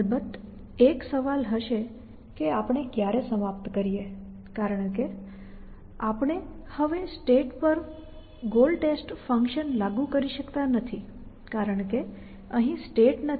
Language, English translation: Gujarati, So, of course, one question will arise us to when do we terminate because we can no longer say that apply a goal test function to a state, because we do not have state anymore in our this thing